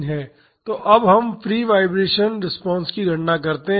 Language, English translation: Hindi, So, now let us calculate the free vibration response